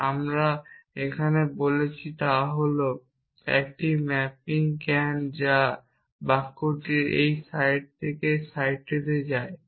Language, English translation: Bengali, And what we have saying here is that there is a mapping can which goes from this site of sentence sp to in site